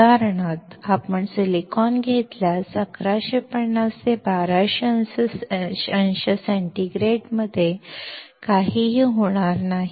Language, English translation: Marathi, For example, if we take a silicon, nothing will happen to it at 1150 to 1200 degree centigrade